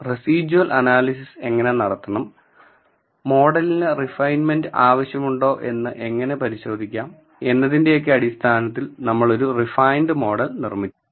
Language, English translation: Malayalam, How to do residual analysis, how to check if the model needs refinement and we built a refined model